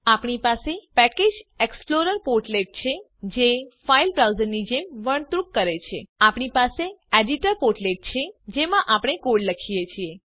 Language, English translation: Gujarati, We have the Package Explorer portlet that behaves like a File Browser We have the Editor portlet in which we write the code